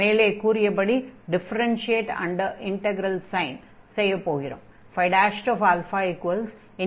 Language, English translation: Tamil, And then we have this differentiation under integral sign